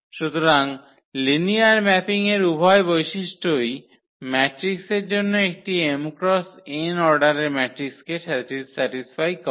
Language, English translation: Bengali, So, both the properties of the linear mapping satisfied for matrix for a matrix of order m cross n